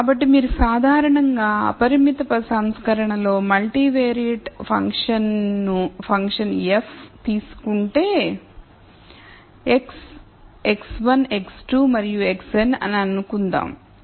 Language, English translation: Telugu, So, if you typically take a multivariate function f of x in the unconstrained version, let us assume that x is x 1 x 2 and x n